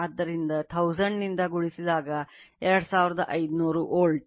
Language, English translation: Kannada, So, 2500 volt multiplied / 1000